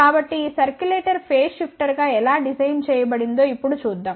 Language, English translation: Telugu, So, lest see now, how this circulator can be designed as a phase shifter